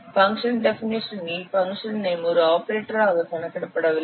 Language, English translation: Tamil, The function name in a function definition is not counted as an operator